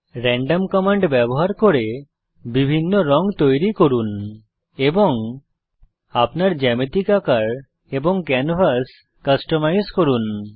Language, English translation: Bengali, Using the random command create various colors and Customize your geometric shapes and canvas